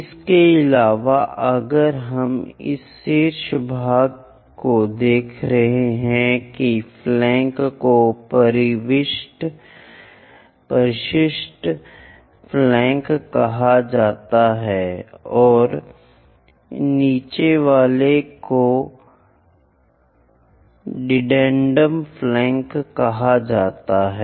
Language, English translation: Hindi, And if we are looking at this top portion that flanks are called addendum flanks and the down ones are called dedendum flanks